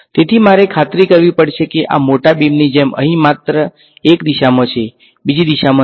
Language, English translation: Gujarati, So, I have to make sure that this like this big beam over here is only in one direction not in the other direction